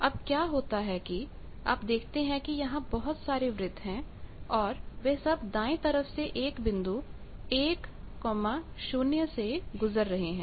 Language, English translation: Hindi, What happens so you see there are various circles, all circles are passing through the right hand portion 1 0